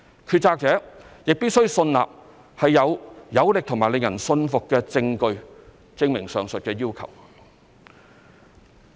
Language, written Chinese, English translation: Cantonese, 決策者亦必須信納有"有力和令人信服"的證據，證明上述要求。, There must be cogent and convincing materials before the decision - maker to establish the said need